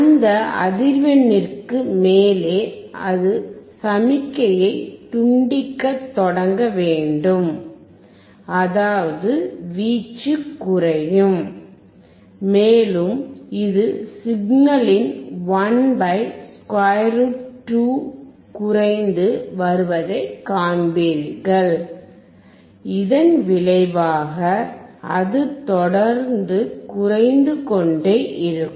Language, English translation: Tamil, Above that frequency it should start cutting off the signal; that means, the amplitude will decrease, and you will see it will decrease by 1/Square root 2 of the signal and consequently it will keep on decreasing